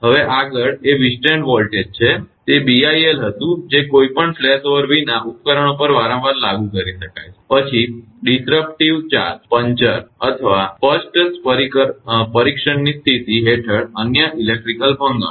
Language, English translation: Gujarati, Now, next one is withstand voltage right that was the BIL that can be repeatedly applied to an equipment without any flashover, then disruptive charge, puncture or other electrical failure under specified test condition